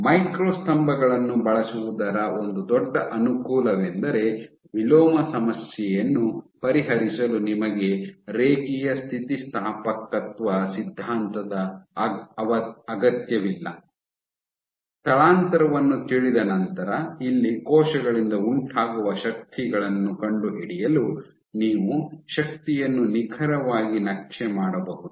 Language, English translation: Kannada, So, this is one of the big advantages of using micro pillars because you do not need linear elasticity theory to solve the inverse problem, for finding out the forces exerted by cells here once you know the displacement you can exactly map out the force